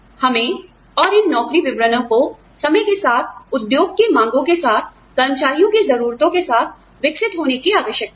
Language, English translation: Hindi, We need to, and these job descriptions, evolve with time, with the demands of the industry, with the needs of the employees